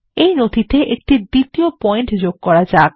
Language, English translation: Bengali, In the document, let us insert a second point